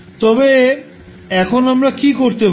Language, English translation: Bengali, So what we can do now